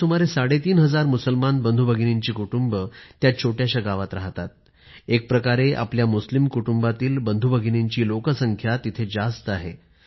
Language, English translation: Marathi, About three and a half thousand families of our Muslim brethren reside in that little village and in a way, form a majority of its population